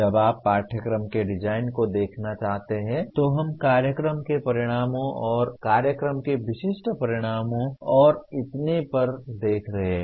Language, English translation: Hindi, When you want to look at the curriculum design then we are looking at more at the program outcomes and program specific outcomes and so on